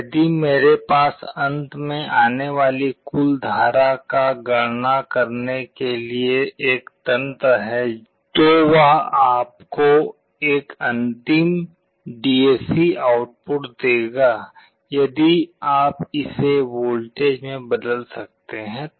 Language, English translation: Hindi, If I have a mechanism to calculate the total current that is finally coming out, then that will give you a final DAC output, if you can convert it into a voltage